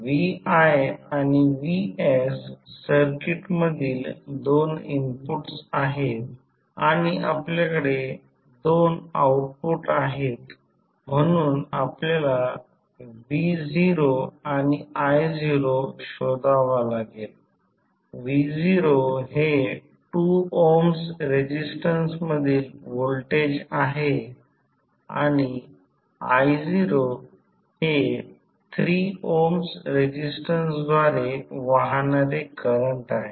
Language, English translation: Marathi, vs and vi are the two inputs in the circuit and we have two outputs so we need to find the value of v naught and i naught, v naught is the voltage across 2 ohm resistance and i naught is the current following through the 3 ohm resistance